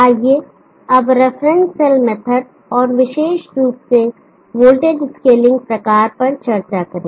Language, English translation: Hindi, Let us now discuss the reference cell method and more specifically the voltage scaling type